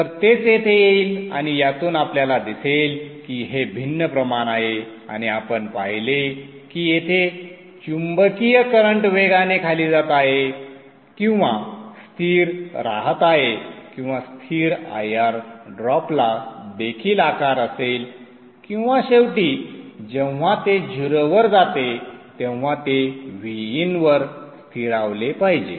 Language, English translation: Marathi, And out of this you will see that this is a varying quantity and we saw that the current here the magnetizing current is going down exponentially or being constant IR drop will also have this shape and ultimately it should when it goes to zero it should settle to VIN